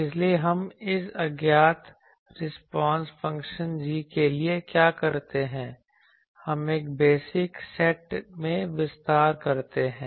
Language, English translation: Hindi, So, what we do this unknown response function g we expand in a basis set